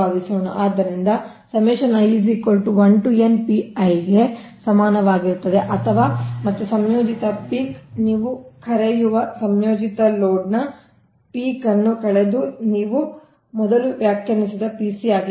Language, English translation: Kannada, right, or, and the peak of the combined your, what you call minus the peak of the combined load, that is pc you have defined earlier right